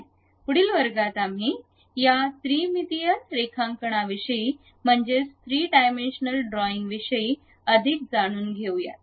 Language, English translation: Marathi, In the next class we will learn more about these 3 dimensional drawings